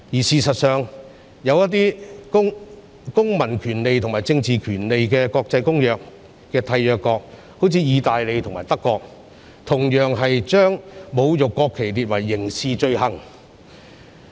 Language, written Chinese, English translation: Cantonese, 事實上，《公民權利和政治權利國際公約》的締約國，例如意大利及德國，同樣把侮辱國旗列為刑事罪行。, In fact signatories of the International Covenant on Civil and Political Rights such as Italy and Germany similarly treat insult to the national flag as a criminal offence